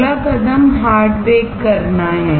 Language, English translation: Hindi, The next step is to do hard bake